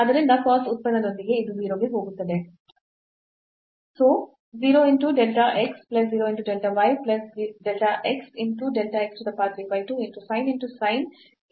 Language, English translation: Kannada, So, this with cos function also this will go to 0